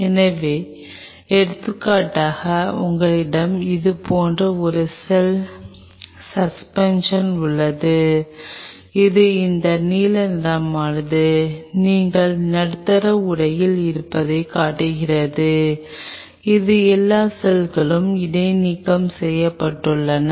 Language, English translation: Tamil, So, say for example, you have a cell suspension like this and this is this blue is showing you’re in the medium ware it is all the cells are suspended